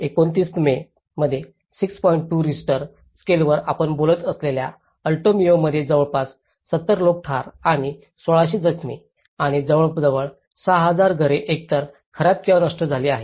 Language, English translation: Marathi, 2 Richter scale and it has killed about 70 people and injured 1600 and almost 6,000 homes either damaged or destroyed